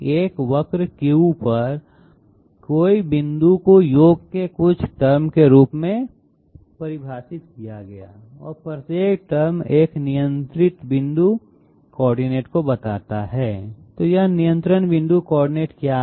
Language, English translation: Hindi, The curve any point on the curve Q is defined to be a submission of certain terms and each term represents a control point coordinate, so what is this control point coordinate